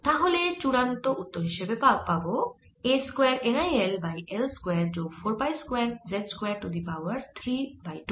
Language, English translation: Bengali, it comes out to be pi a square n i l square over four pi square, l times l square plus four